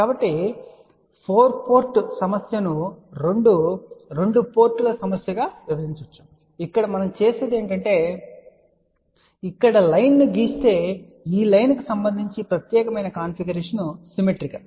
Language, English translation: Telugu, So, this 4 port problem can be divided into 2 2 ports problem what we do here is that think about if we draw line over here we can say that with respect to this line this particular configuration is symmetrical